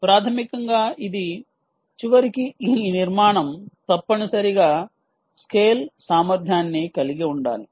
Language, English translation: Telugu, ultimately, this architecture should essentially scale, scale ability